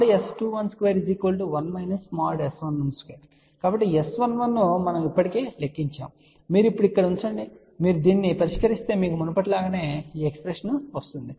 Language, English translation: Telugu, So, S 11 we have already done the calculation you put it over here and now, if you solve this you will get this expression which is same as before